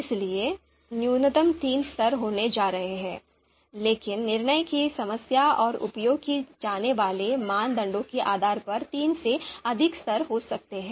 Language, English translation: Hindi, So, there are going to be minimum three levels, so there could be more than three levels depending on the decision problem, depending on the you know criteria that are going to be used